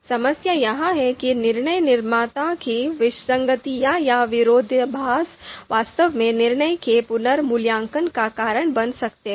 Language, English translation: Hindi, Now what is the problem with this approach is that the decision maker’s inconsistencies or contradiction may actually lead to reevaluation of the judgments